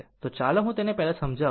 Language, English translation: Gujarati, Now, let me first clear it